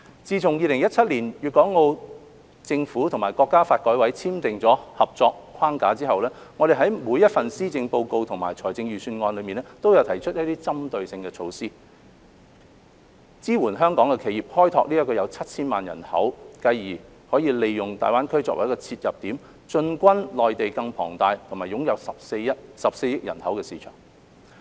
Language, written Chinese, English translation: Cantonese, 自2017年，粵港澳政府和國家發展和改革委員會簽訂合作框架後，我們在每一份施政報告及財政預算案內均有提出一些針對性措施，支援香港企業開拓這個有超過 7,000 萬人口的市場，繼而利用大灣區為切入點，進軍內地更龐大、擁有14億人口的市場。, Since the signing of the framework for cooperation between the Guangdong Hong Kong and Macao governments and the National Development and Reform Commission in 2017 we have proposed some targeted measures in each policy address and budget to support Hong Kong enterprises in tapping into this market of over 70 million people and then using GBA as the entry point to venture into the Mainlands even larger market of 1.4 billion people